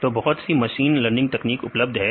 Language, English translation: Hindi, So, now there are many machine techniques available